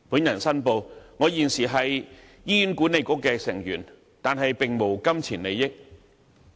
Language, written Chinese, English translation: Cantonese, 我申報，我現時是醫院管理局成員，但並無金錢利益。, Here I have to make a declaration of interest . I am a member of the Hospital Authority HA but no pecuniary interest is involved